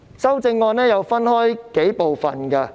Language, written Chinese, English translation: Cantonese, 修正案可分為數部分。, The amendments can be divided into several parts